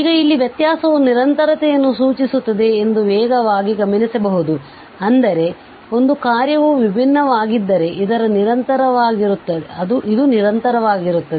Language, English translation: Kannada, Now, here we can just take a look quickly that the differentiability implies continuity that means, if a function is differentiable this is continuous